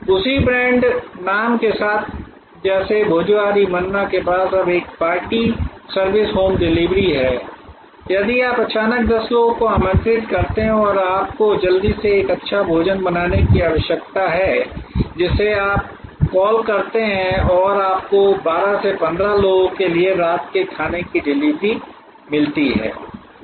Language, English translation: Hindi, Similarly, there can be a new service category with the same brand name like Bhojohori Manna now has a party service home delivery for if you suddenly invite 10 people and you need to quickly russell up a good meal you call them up and you get delivery home delivery of a dinner for 12 people 15 people or whatever